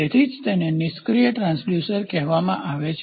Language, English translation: Gujarati, So, that is why it is called as passive transducers